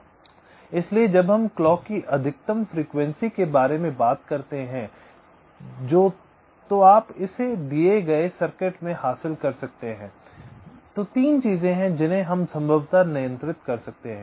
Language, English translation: Hindi, ok, so when we talk about the maximum clock frequency that you can have in a given design, there are three things that we can possibly control